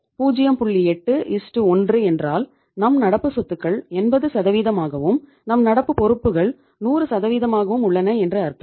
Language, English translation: Tamil, 8:1 it means your current assets are just 80% of your 100% current liability